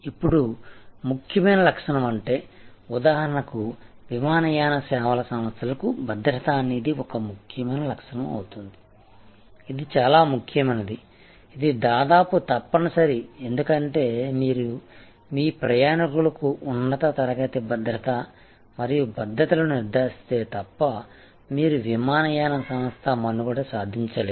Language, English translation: Telugu, Now, important attribute for example, in airlines service safety will be an important attribute, but what happens, because it is important, because it is almost mandatory you cannot survive as an airline service unless you ensure top class security and safety for your passengers for your aircraft